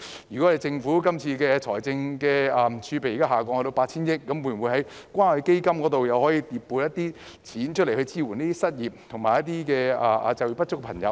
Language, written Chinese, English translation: Cantonese, 現時政府財政儲備下降至 8,000 億元，可否從關愛基金回撥一些款項來支援失業或就業不足人士呢？, The Governments fiscal reserve has now dropped to 800 billion . Is it possible to bring back a certain sum from the Community Care Fund to support the unemployed and underemployed?